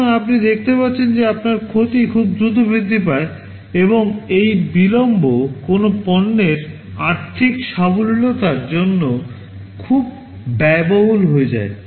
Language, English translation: Bengali, So you see that your loss increases very rapidly, and this delay becomes very costly for the financial viability of a product